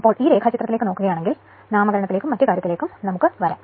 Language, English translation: Malayalam, So, if you look into if you look into this diagram right, we will come to the nomenclature and other thing